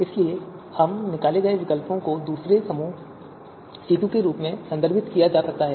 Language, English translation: Hindi, So therefore these extracted you know alternatives, they are referred as second group, C2